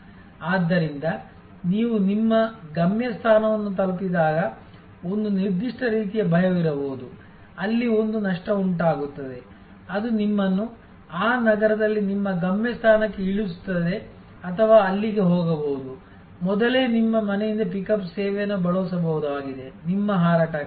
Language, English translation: Kannada, So, when you arrive at your destination there can be a certain kind of fear, where there will be a losing provided, which will drop you at your destination in that city or there could, even earlier there use to be pickup service from your home for your flight